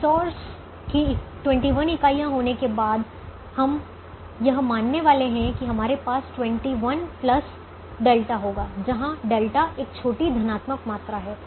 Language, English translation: Hindi, instead of having twenty one units of the resource, we are going to assume that we will have twenty one plus delta, where delta is a small positive quantity